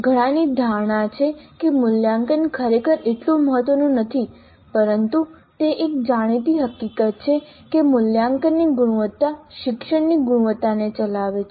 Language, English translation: Gujarati, Many have a notion that assessment is really not that important, but it is a known fact that the quality of assessment drives the quality of learning